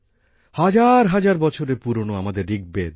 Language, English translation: Bengali, Our thousands of years old Rigveda